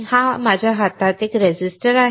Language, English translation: Marathi, This is a resistor in my hand